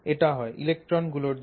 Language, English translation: Bengali, The first is due to the electrons